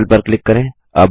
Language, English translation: Hindi, Click on Circle